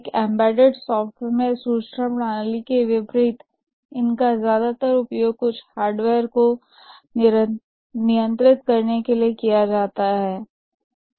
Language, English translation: Hindi, In contrast to the information system, in embedded software, these are mostly used to control some hardware